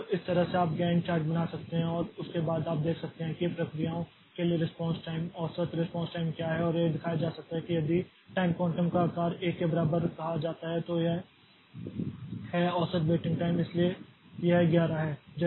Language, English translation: Hindi, So, this way you can draw a Gant chart and after that you can see that what is the response time, average response time for the processes and it can be shown that if the time quantum size is said to be equal to 1 then this is the average waiting time